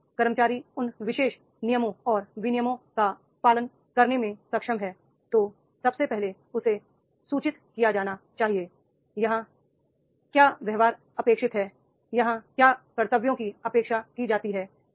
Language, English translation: Hindi, If employee is able to follow those particular rules and regulations then first he has to be communicated what behavior is expected here, what duties are expected here